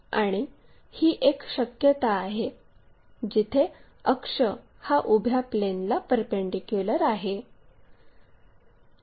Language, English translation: Marathi, And this is one possibility, where axis perpendicular to vertical plane